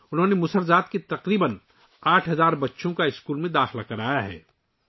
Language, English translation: Urdu, He has enrolled about 8 thousand children of Musahar caste in school